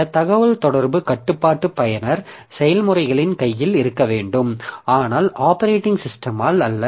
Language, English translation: Tamil, The communication is under the control of the users processes, not the operating system